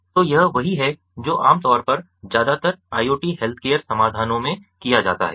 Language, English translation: Hindi, so this is exactly what is typically done in most of the iot healthcare solutions